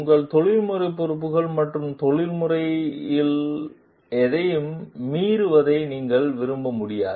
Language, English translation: Tamil, You cannot like violate any of your professional responsibilities and ethics